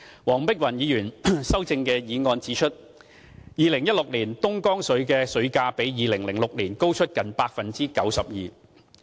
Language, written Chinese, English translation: Cantonese, 黃碧雲議員修正案指出 ，2016 年的東江水價格比2006年高出近 92%。, Dr Helena WONGs amendment pointed out that the price for Dongjiang water in 2016 was 92 % higher than that in 2006